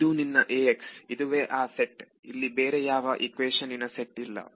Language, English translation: Kannada, This is your A x this is that set there is no other set of equations